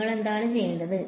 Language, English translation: Malayalam, What do you have to do